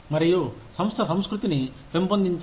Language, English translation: Telugu, And, supportive nurturing organizational culture